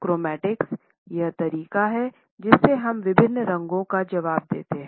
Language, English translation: Hindi, Chromatics is the way we respond to different colors